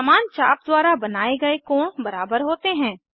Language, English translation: Hindi, Inscribed angles subtended by the same arc are equal